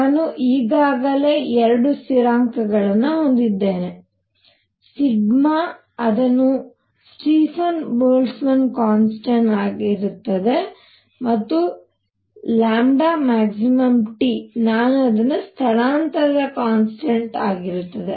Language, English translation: Kannada, I already have two constants, I have sigma which is the Stefan Boltzmann constant, and I have lambda max T which is displacement constant